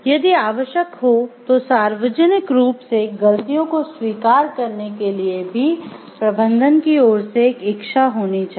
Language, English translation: Hindi, There should be willingness on the part of the management to admit mistakes publicly if necessary